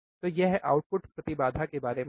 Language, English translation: Hindi, So, this is about the output impedance